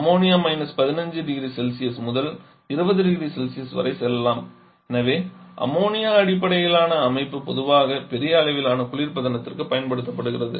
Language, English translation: Tamil, Whereas Ammonia can we go to –15, 20 degree Celsius, ammonia based system is more commonly used for large scale refrigeration